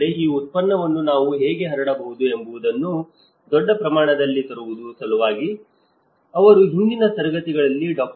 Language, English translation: Kannada, But the challenge is to bring in much bigger scale how we can diffuse this product so, in his previous classes also Dr